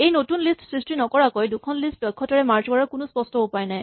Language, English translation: Assamese, There is no obvious way to efficiently merge two lists without creating a new list